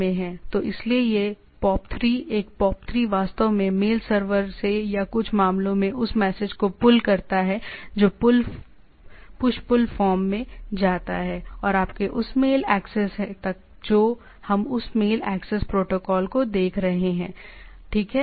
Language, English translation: Hindi, So, that so this POP3, a POP3 actually pulls that message from the mail server or in some cases that is goes on in push pull form and to the to your that mail access what we are looking at that mail access protocols, right